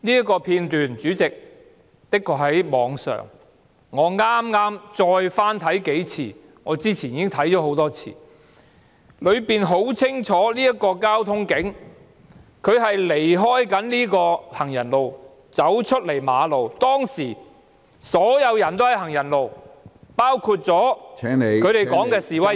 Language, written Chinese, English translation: Cantonese, 該片段確實在網上流傳，我剛才再翻看數次——我先前已觀看多次——片段清楚顯示該名交通警員離開行人路走出馬路，當時所有人均在行人路上，包括警方所說的示威者......, The footage is still being circulated online and I have watched it again several times just now―I have watched it many times before―the footage clearly showed that the traffic police officer left the pavement and walked into the road . At that time all the people were still on the pavement including the protesters as referred to by the Police